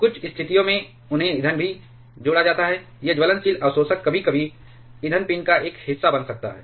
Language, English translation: Hindi, In certain situations, they are also added to the fuel itself; that is this burnable absorbers sometimes may become a part of the fuel pin itself